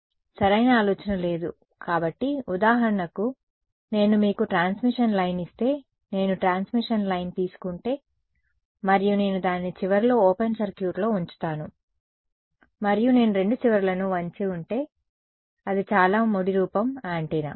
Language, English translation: Telugu, No idea right so, you might assume, for example, take a transmission line if I take if I give you a transmission line and I keep it open circuited at the end and if I bend the two ends that is one very crude form of an antenna ok